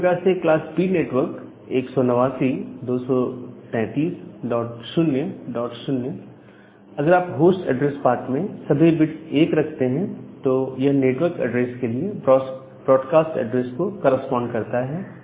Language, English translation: Hindi, Similarly, for the class B network, 189 dot 233 dot 0 dot 0 if you put all 1’s at the host address part that means, it corresponds to the broadcast address for this network